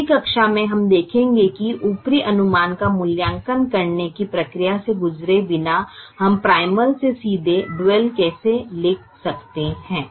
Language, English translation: Hindi, in the next class we will see how we can write the dual directly from the primal without going through the process of evaluating the upper estimate